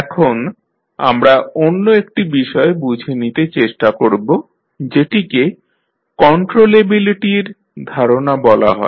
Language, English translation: Bengali, Now, let us try to understand another concept called concept of controllability